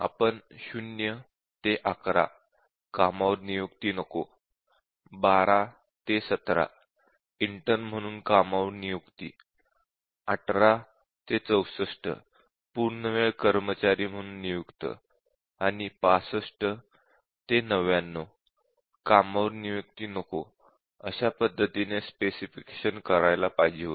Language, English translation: Marathi, What we should have done in the specification is 0 to 11 do not hire; 12 to 17 hire as intern; 18 to 64 hire as full time employee and 65 to 99 do not hire